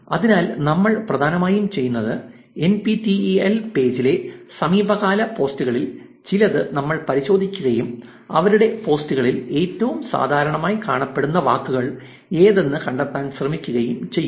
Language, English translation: Malayalam, So, what we will essentially do is we will go through some of the recent posts that the NPTEL page has done and we will try to find out which are the most commonly appearing words in their posts